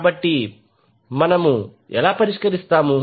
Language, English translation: Telugu, So, how we solve